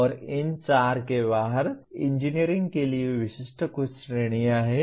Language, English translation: Hindi, And there are some categories specific to engineering outside these four